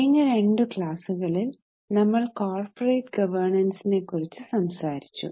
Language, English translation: Malayalam, Namaste In our last two sessions we have discussed on corporate governance